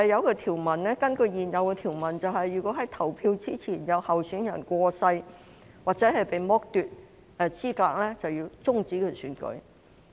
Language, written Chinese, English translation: Cantonese, 根據原有條文，如果在選舉日期前有候選人過世或被剝奪資格，便須終止選舉。, According to the original provisions if a candidate has died or is disqualified before the date of the election the election shall be terminated